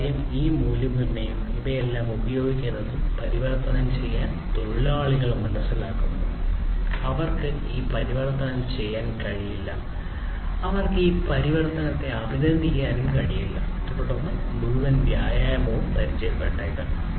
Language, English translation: Malayalam, Because until this value proposition and the use of all of these things the transformation etc are understood by the workforce; they will not be able to you know do this transformation in a meaningful way, they will not be able to appreciate this transformation meaningfully, and because of which the entire exercise might fail